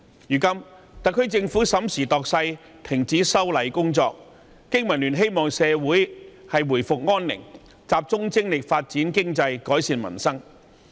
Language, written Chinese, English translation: Cantonese, 如今，特區政府審時度勢，停止了修例工作。經民聯希望社會回復安寧，集中精力發展經濟、改善民生。, Now that the SAR Government has put a stop to the legislative amendment exercise in light of the circumstances BPA hopes that peace will be restored so that Hong Kong can focus on economic development and livelihood improvement